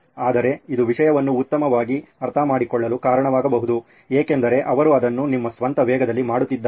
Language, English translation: Kannada, But it may lead to better understanding of the topic for sure because they are doing it at your own pace, and doing that